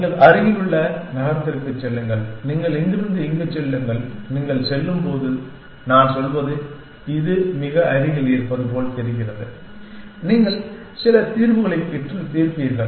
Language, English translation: Tamil, You go to the nearest city, you go from here to here, when you go I mean, it looks like this is the nearest and you will get some solution and solve